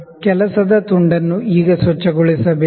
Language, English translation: Kannada, So, the work piece is to be cleaned now